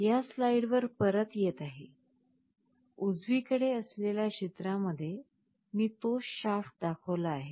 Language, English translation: Marathi, Coming back to this slide, in the picture on the right, I have showed the same shaft